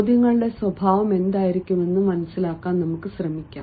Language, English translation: Malayalam, let us try to understand what could be the nature of questions